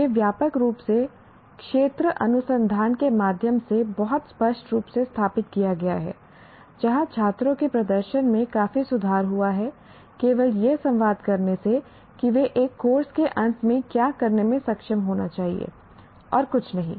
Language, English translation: Hindi, This has been established very clearly through extensive field research where the performance of the students has significantly improved just by merely communicating what they should be able to do at the end of a course